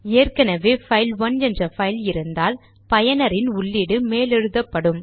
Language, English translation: Tamil, If a file by name say file1 already exist then the user input will be overwritten on this file